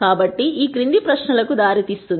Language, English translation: Telugu, So, this would lead to the following questions